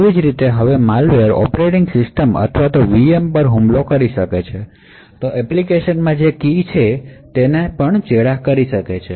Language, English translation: Gujarati, Similarly, if a malware now attacks the operating system or the VM then the key which is present in the application can be compromised